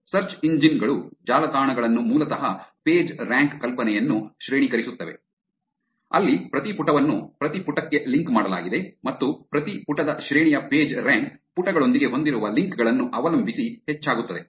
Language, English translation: Kannada, Also search engines rank websites basically the Pagerank idea where every page is linked to every page and Pagerank of the rank of every page increases depending on the links that it has with the pages and